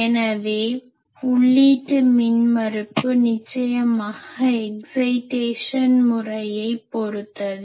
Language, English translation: Tamil, So, input impedance definitely depend on method of excitation